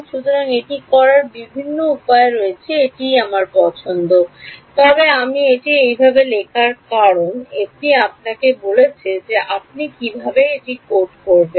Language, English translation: Bengali, So, it is my choice there are various ways of doing it, but the reason I have written this in this way is because this is telling you how you would actually code it